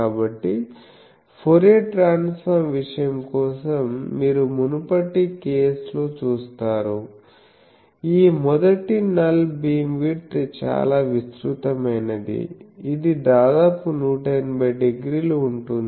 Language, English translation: Telugu, So, you see almost in previous case for Fourier transform thing we say that this first null beam width that is very broad, it is almost like 180 degree